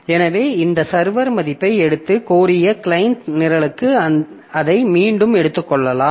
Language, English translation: Tamil, So then the server will take the value and give it back to the client program, the client that had requested it